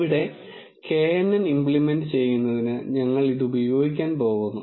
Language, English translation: Malayalam, And here we are going to use it for implementing this knn